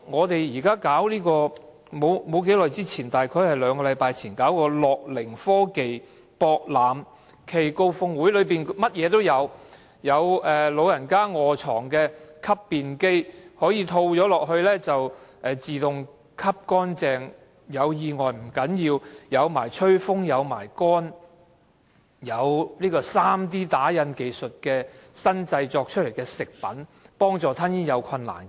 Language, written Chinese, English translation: Cantonese, 大約兩星期前舉辦的"樂齡科技博覽暨高峰會"，場內應有盡有：有長者臥床時使用的吸便機，套上去後可以自動吸乾淨，還有吹風烘乾功能；有 3D 打印技術製造出來的食品，幫助吞嚥有困難的人。, A wide range of products were exhibited at the Gerontech and Innovation Expo cum Summit held about two weeks ago including a bidet for bedridden elderly which automatically flushes and air - dries; and a 3D food printer which can help people with swallowing problems